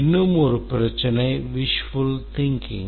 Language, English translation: Tamil, One more problem is wishful thinking